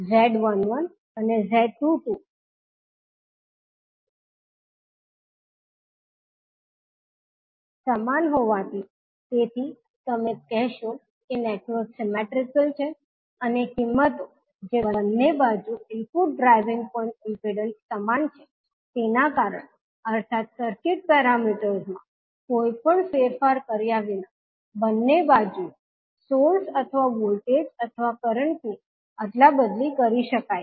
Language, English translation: Gujarati, Since Z11 and Z22 are equal, so you will say that the network is symmetrical and because of the values that is input driving point impedance for both sides are same means the source or the voltage or current on both sides can be interchanged without any change in the circuit parameters